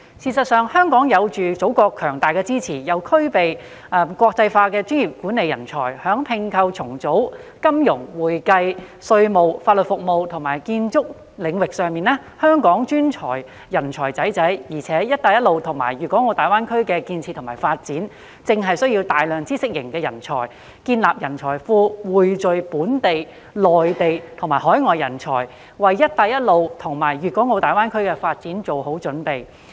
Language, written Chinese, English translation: Cantonese, 事實上，香港既有祖國強大的支持，又具備國際化的專業管理人才，在併購重組、金融、會計稅務、法律服務及建築領域上，香港專才濟濟，而"一帶一路"及大灣區的建設與發展，正正需要大量知識型人才，建立人才庫，匯聚本地、內地和海外人才，為"一帶一路"及大灣區的發展作好準備。, Actually apart from the strong support of the Motherland Hong Kong also possesses professional management talents with an international outlook . Speaking of such domains as merge and acquisition reorganization financial services accounting and taxation legal services and architectural services Hong Kong has a wealth of talents and the construction and development of BR and the Greater Bay Area precisely needs a great deal of knowledge - based talents and the forming of a talent pool for the convergence of talents from Hong Kong the Mainland and overseas countries as a preparation for the development of BR and the Greater Bay Area